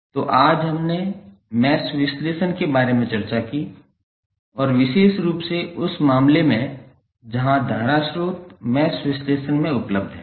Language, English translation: Hindi, So, today we discussed about the mesh analysis and particularly the case where current sources available in the mesh analysis